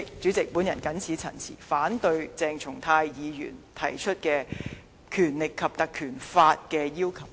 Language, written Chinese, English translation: Cantonese, 主席，我謹此陳辭，反對鄭松泰議員提出引用《立法會條例》的要求。, With these remarks President I oppose to Dr CHENG Chung - tais motion on invoking the PP Ordinance